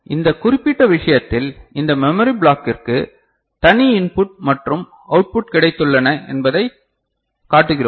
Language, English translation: Tamil, So, in this particular case what we are showing that for this memory block we have got separate input and output